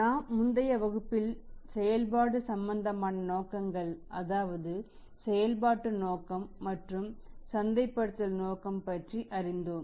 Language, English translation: Tamil, So, we learnt in the previous class about the operations related motive that is operating motive and the marketing motive